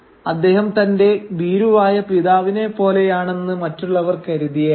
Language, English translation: Malayalam, Others might think that he is just like his father who is a coward